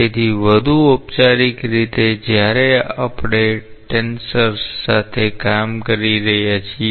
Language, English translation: Gujarati, So, in a more formal way since we are dealing with tensors